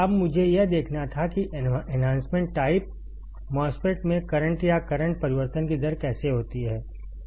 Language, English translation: Hindi, Now, I had to see how the rate of change of current or the current change occurs in the enhancement type MOSFET